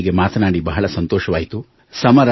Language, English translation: Kannada, It was nice talking to you